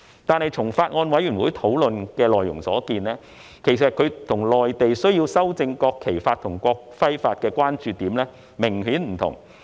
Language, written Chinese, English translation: Cantonese, 不過，從法案委員會的討論內容所見，我們與內地修正《國旗法》及《國徽法》的關注點明顯不同。, Yet as can be seen from what was discussed by the Bills Committee it is clear that the Mainlands concerns in amending the National Flag Law and the National Emblem Law are different from ours